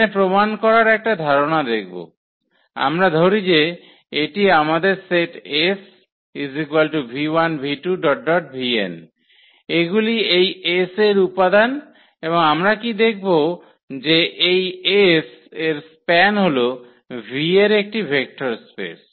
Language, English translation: Bengali, So, just to see the idea of the proof here so, we take let us say this is our set S which contains v 1, v 2, v 3, v n these are the elements of this S and what we will show that the span of this S is a is a vector space is a vector space of V